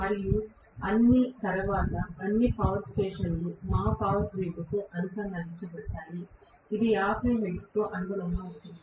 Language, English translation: Telugu, And after all, all the power stations are going to be connected to our power grid, which corresponds to 50 hertz